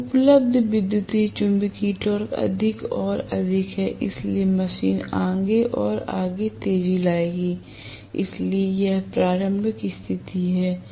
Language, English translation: Hindi, So, the electromagnetic torque available is more and more and more, so the machine will accelerate further and further, so this is the starting condition